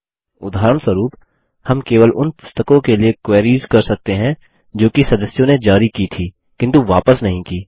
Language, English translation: Hindi, For example, we can query for those books only, which were issued but have not been returned by members, meaning, only those that are not checked in